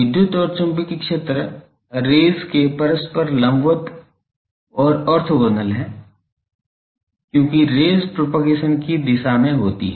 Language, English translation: Hindi, The electric and magnetic fields are mutually perpendicular and orthogonal to the rays because, rays are the direction of propagation